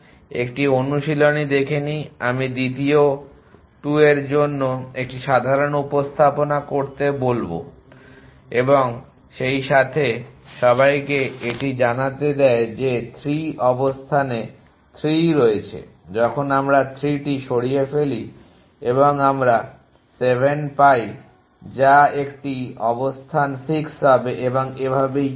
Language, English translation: Bengali, As an exercise I will ask to construct the to a ordinary representation for the second 2 a as well all lets to it know so 3 is in position 3 when we remove 3 we get 7 which will be an position 6 and so on